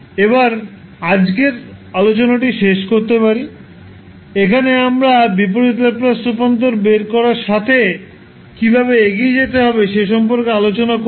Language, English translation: Bengali, So, with this we can close our today's session, where we discuss about how to proceed with finding out the inverse Laplace transform